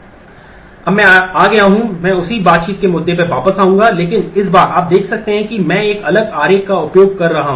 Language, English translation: Hindi, Now, I am come I will come back to the same interaction issue, but this time you can see that I am using a different diagram